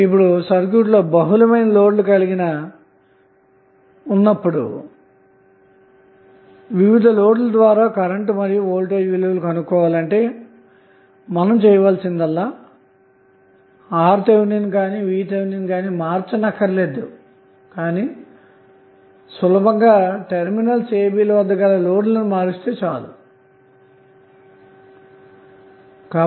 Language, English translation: Telugu, Now if you have multiple cases or multiple loads through which you want to find out the current and across those loads voltages, you need not to change anything in this circuit that is RTh and VTh you have to just keep on changing the loads across terminal a and b